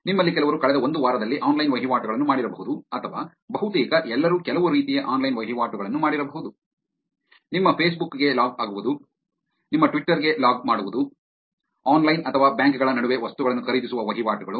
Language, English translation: Kannada, So, some of you may have actually done online transactions in the last one week or almost all of you would have done some kind of online transactions, logging to your Facebook, logging to your Twitter, transactions of buying things online or between banks